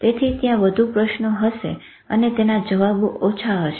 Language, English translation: Gujarati, So, there will be more questions and there will be less answers